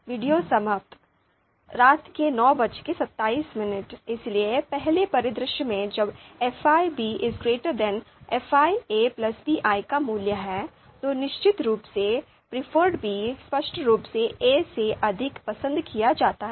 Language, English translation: Hindi, (Video Ends: 21:27) So in the first scenario when the value of you know fi b is greater than fi a plus pi, then of course b is clearly preferred over a